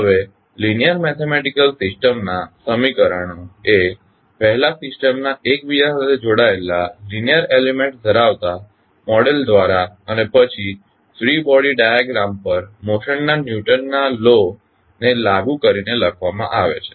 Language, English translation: Gujarati, Now, the equations of linear mathematical system are written by first constructing model of the system containing interconnected linear elements and then by applying the Newton’s law of motion to the free body diagram